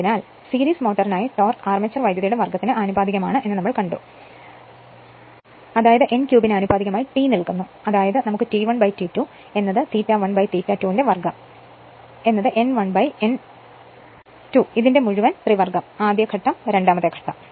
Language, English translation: Malayalam, So, for series motor torque, we know proportional to armature current square and it is given T proportional to n cube; that means, we can write T 1 by T 2 is equal to I a 1 upon I a 2 whole square is equal to n 1 upon n 2 whole cube right first case, second case right